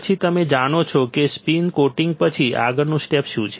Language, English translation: Gujarati, then you know what is the next step after spin coating